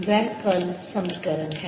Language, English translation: Hindi, that's the curl equation